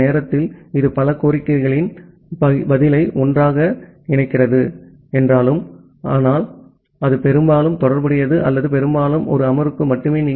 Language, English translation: Tamil, And during that time although it it is combining multiple such requests response together, but that mostly will mostly related or mostly limited to a single session